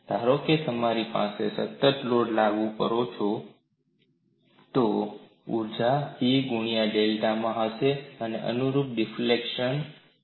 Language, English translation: Gujarati, Suppose I have a constant load acting, then the energy would be P into delta a corresponding displacement is delta